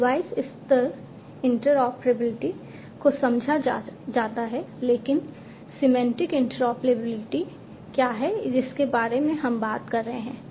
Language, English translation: Hindi, So, device level interoperability is understood, but what is the semantic interoperability that we are talking about